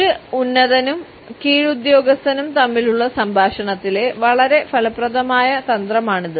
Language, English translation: Malayalam, This is a very effective strategy in a dialogue between a superior and subordinate